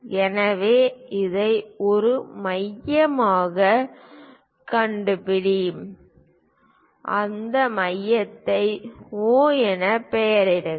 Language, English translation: Tamil, So, locate this one as centre, name that centre as O